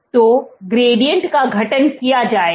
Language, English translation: Hindi, So, gradient will be formed